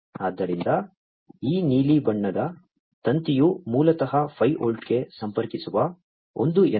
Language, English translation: Kannada, So, this one this blue coloured wired is basically the one, which is connecting to the 5 volt right